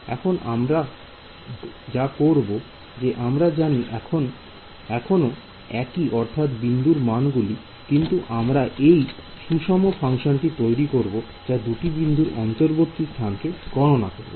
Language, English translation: Bengali, Now what we will do is, those unknowns are still the same, the value of the nodes, but we will create a kind of a smooth function that take that interpolates between these node values